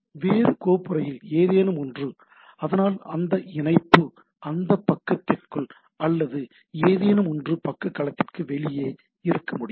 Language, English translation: Tamil, And something in a different folder, so that link, but within that page or something can be totally outside the page domain itself